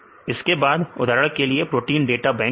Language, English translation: Hindi, Then for example, in the case of the protein data bank file